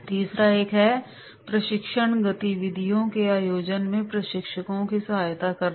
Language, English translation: Hindi, Third one is, assisting the trainers in organising training activities